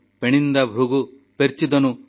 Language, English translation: Odia, Penninda broohu perchidanu